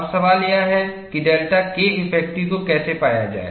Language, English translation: Hindi, Now, the question is, how to find delta K effective